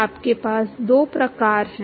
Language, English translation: Hindi, You have two types